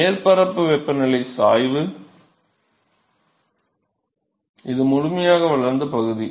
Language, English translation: Tamil, So, the surface temperature gradient, this is the fully developed region